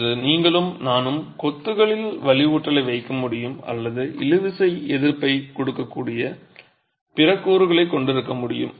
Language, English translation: Tamil, Today you and I are able to put reinforcement into masonry or have other elements that can give tensile resistance